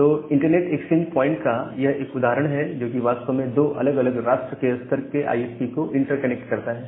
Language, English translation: Hindi, So, they are one example of internet exchange point, which actually interconnects 2 different national level ISPs